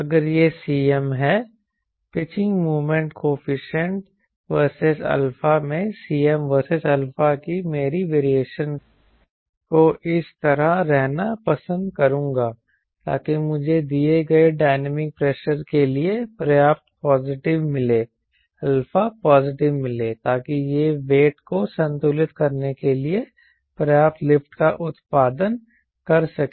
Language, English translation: Hindi, i will prefer my variation of cm versus alpha to be like this, so that i have brought in alpha positive sufficient enough for a given dynamic pressure, so that it can produce enough left to balance the weight